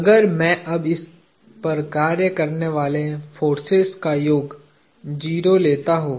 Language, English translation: Hindi, If I now take the sum of forces acting on this to be 0